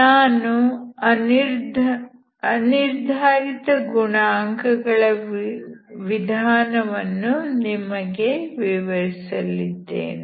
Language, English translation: Kannada, So I will explain the method of undetermined coefficient